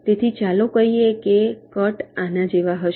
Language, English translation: Gujarati, so let say, the cuts are like this